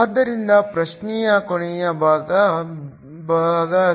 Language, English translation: Kannada, So, the last part of the question part c